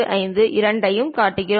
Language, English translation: Tamil, 45 both the things